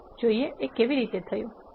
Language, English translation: Gujarati, Let us look how to do this